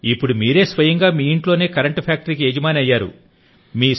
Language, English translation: Telugu, Now they themselves have become the owners of the electricity factory in their own houses